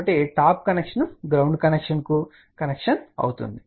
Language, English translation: Telugu, So, the top connection is connection to the ground connection